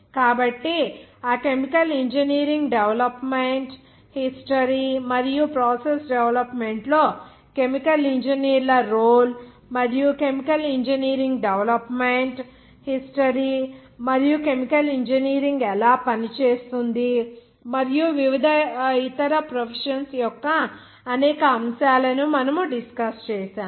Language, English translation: Telugu, So we have discussed several aspects of that chemical engineering development history and role of chemical engineers in the process development and also the history of chemical engineering development and also aspects of different other professions how chemical engineering act